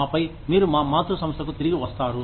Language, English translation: Telugu, And then, you come back to your parent organization